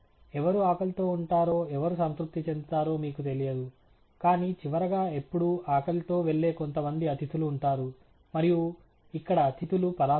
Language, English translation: Telugu, We do not know who will go hungry and who will go satisfied, but the bottom line is they will always be some guests who will go hungry and the guests here are parameters